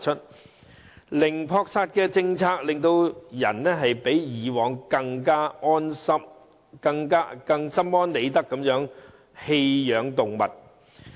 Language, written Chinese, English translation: Cantonese, 由於零撲殺政策出台，飼養者比過往更心安理得地棄養動物。, After the introduction of the zero euthanasia policy keepers feel more at peace abandon their animals